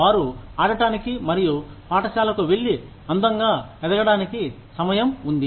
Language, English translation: Telugu, They have time to play, and go to school, and grow up, beautifully